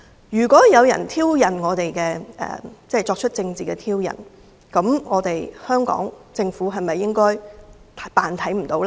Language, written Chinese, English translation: Cantonese, 如果有人作出政治的挑釁，香港政府應否扮作看不見呢？, When faced with political provocation should the Hong Kong Government turn a blind eye?